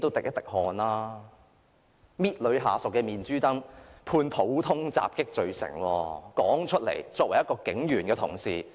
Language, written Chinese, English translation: Cantonese, 一名警員同事捏女下屬的面頰被判普通襲擊罪成，說出來顏面何存？, A police officer was convicted of common assault for pinching a female colleagues cheek how embarrassing is that?